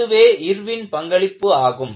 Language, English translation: Tamil, This is again, the contribution by Irwin